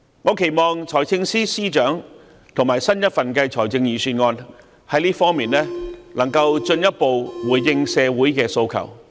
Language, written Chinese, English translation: Cantonese, 我期望財政司司長和新一份財政預算案在這方面能夠進一步回應社會的訴求。, I expect the Financial Secretary and the new Budget can further respond to the aspirations of society in this regard